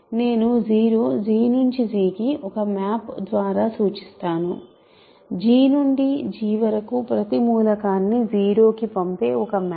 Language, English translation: Telugu, It is so, I will just denote by 0, it is a map from G to G sending every element to 0